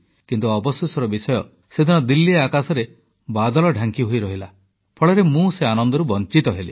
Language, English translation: Odia, But unfortunately, on that day overcast skies in Delhi prevented me from enjoying the sight